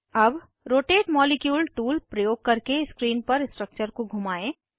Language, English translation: Hindi, Now, rotate the structure on screen using the Rotate molecule tool